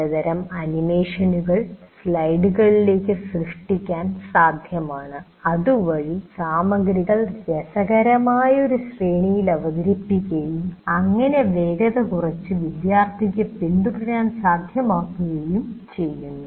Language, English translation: Malayalam, It is possible to create some kind of animations into the slides so that the material is presented in a very interesting sequence and slow enough for the student to keep track